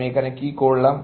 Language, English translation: Bengali, What have I done